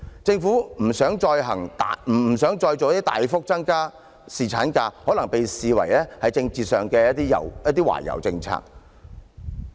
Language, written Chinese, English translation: Cantonese, 政府不想再"大幅"增加侍產假，可被視作政治上的懷柔政策。, The Governments refusal to substantially increase paternity leave can be seen as a kind of political appeasement